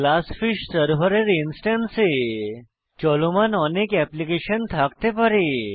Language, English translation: Bengali, This Glassfish server instance may have many applications running on it